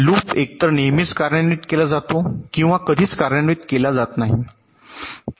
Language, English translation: Marathi, so loop is either always executed or never executed